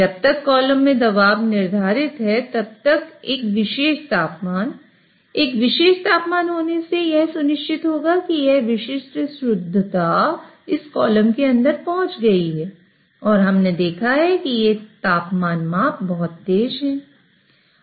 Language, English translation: Hindi, So as long as the pressure in the column is set, a particular temperature, having a particular temperature will ensure that a particular purity is reached inside this column